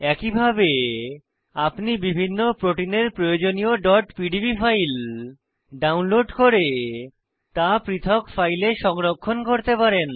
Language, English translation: Bengali, Similarly, you can download the required .pdb files of various proteins and save them in separate files